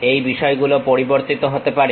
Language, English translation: Bengali, These things may have to be changed